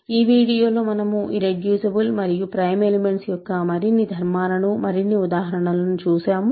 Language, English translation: Telugu, In this video, we looked at more examples of, more properties of irreducible and prime elements